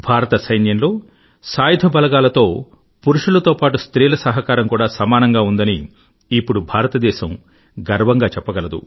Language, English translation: Telugu, Indian can proudly claim that in the armed forces,our Army not only manpower but womanpower too is contributing equally